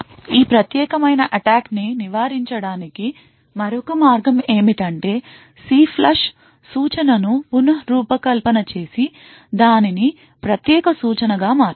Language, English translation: Telugu, Another way of preventing this particular attack is to redesign the instruction CLFLUSH and make it a privilege instruction